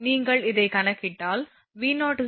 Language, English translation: Tamil, If you compute this one you will get v 0 is equal to 110